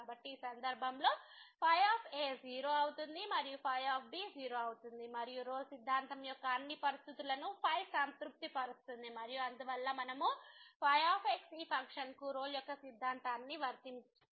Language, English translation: Telugu, So, in this case the is and is and satisfies all the conditions of the Rolle’s theorem and therefore, we can apply Rolle’s theorem to this function